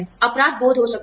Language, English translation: Hindi, There could be guilt